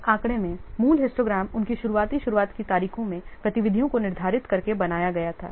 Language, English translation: Hindi, In this figure, the original histogram was created by scheduling the activities at their earliest tard dates